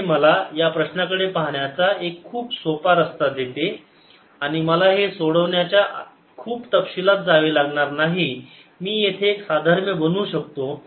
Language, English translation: Marathi, so this gives me a very simple way of looking at this problem and i don't have to go into the details of solving this